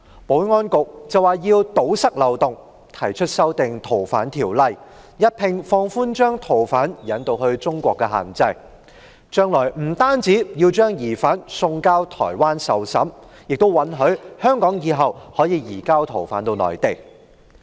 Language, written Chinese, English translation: Cantonese, 保安局表示要堵塞漏洞，提出修訂《逃犯條例》，一併放寬把逃犯引渡至中國內地的限制，將來不單要把疑犯送交台灣受審，還允許香港日後可以移交逃犯至內地。, In order to plug the loophole the Security Bureau proposed to amend the Fugitive Offenders Ordinance and at the same time relax the restrictions on extraditing fugitive offenders to the Mainland . In future Hong Kong not only can surrender the suspect to Taiwan but also surrender fugitive offenders to the Mainland